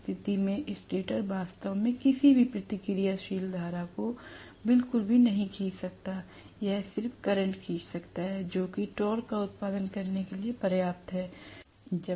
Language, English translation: Hindi, In which case the stator may not really draw any reactive current at all, it may just draw the current which is sufficient enough to produce the torque that is it, nothing more than that